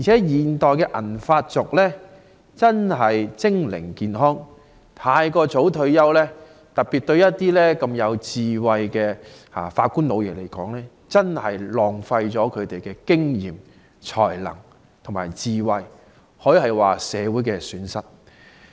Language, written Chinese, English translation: Cantonese, 現代的銀髮族精靈健康，尤其對一些有智慧的法官"老爺"而言，太早退休真的浪費了他們的經驗、才能和智慧，可說是社會的損失。, Nowadays the silver - haired generation is smart and healthy . In particular if some wise old judges have to retire too early their experience talents and wisdom will be wasted which can be described as a loss to society